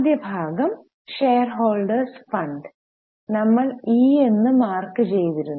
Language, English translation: Malayalam, So, first part is shareholders funds which we have marked it as E